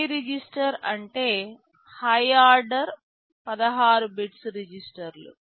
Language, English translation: Telugu, High register means the high order 16 bits of the registers